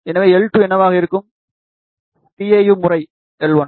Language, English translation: Tamil, Then L 3 will be tau times L 2